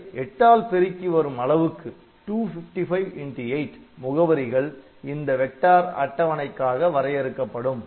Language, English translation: Tamil, So, 255 multiplied by 8, it can you can have up to that much address dedicated for this in vector table